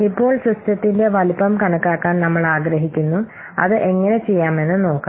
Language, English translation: Malayalam, Now we want to estimate the size of the system